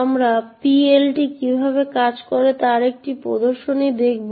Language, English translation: Bengali, So, we will be looking at a demonstration of how PLT works